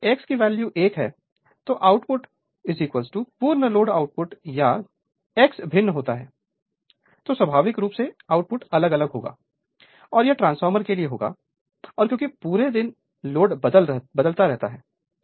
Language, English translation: Hindi, And if X is 1, then output is equal to your full load output right or otherwise if your X varies, then naturally output will vary and it will and it happens for transformer because throughout the day load is changing